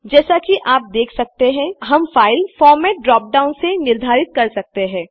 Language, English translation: Hindi, As you can see we can specify the format of file from the dropdown